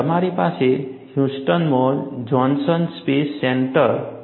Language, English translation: Gujarati, You have the Johnson Space Center in Houston